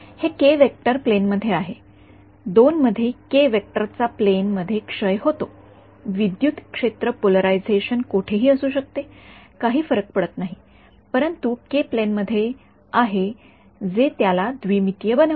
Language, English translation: Marathi, It in the plane the k vector is in the plane in the 2 decays k vector is in the plane, the electric field polarization can be anywhere does not matter, but k is in the plane that is what makes it a 2D